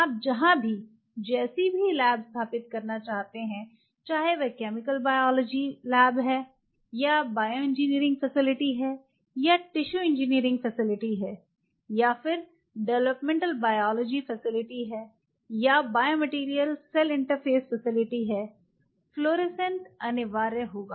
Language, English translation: Hindi, Any library setup its a chemical biology lab or a bioengineering facility or a tissue engineering facility or a development biology facility in or by material cell interface facility fluorescent will be essential